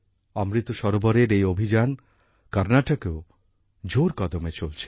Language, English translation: Bengali, This campaign of Amrit Sarovars is going on in full swing in Karnataka as well